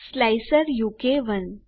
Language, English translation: Gujarati, slicer u k 1